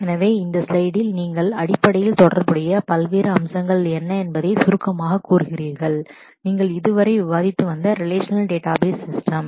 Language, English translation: Tamil, So, in this slide you summarize basically what are the different aspects of relational database systems which you have been discussing so far